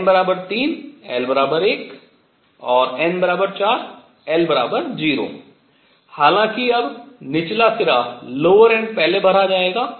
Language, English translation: Hindi, n equals 3, l equals 1 and n equals 4 l equals 0; however, now the lower end will be filled first